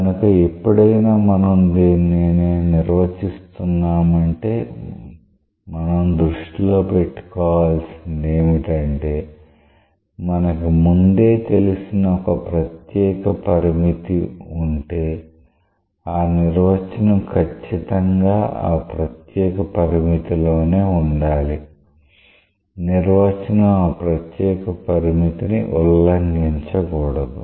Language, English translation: Telugu, So, whenever we are defining something; we have to keep in mind that in a special limit which is already known it should be consistent with that special limit; the definition should not violate that special case